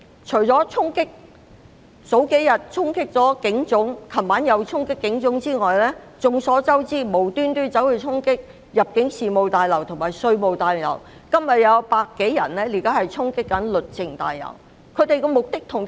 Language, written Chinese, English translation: Cantonese, 除了數天前和昨晚衝擊警察總部外，眾所周知，他們無緣無故衝擊入境事務大樓和稅務大樓，而此刻又有百多人衝擊律政中心。, It was common knowledge that apart from the charging at the Police Headquarters yesterday evening and a few days ago they stormed the Immigration Tower and the Revenue Tower for no reason . And more than a hundred of them are charging at Justice Place at the moment